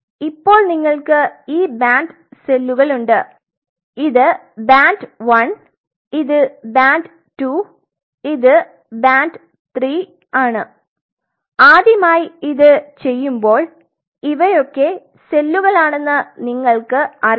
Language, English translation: Malayalam, So, you have these cells of band see this is the band one this is band two this is band three now when you are doing it for the first time you have no idea which cells are which